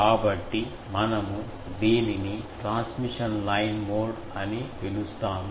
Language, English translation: Telugu, So, we call it transmission line mode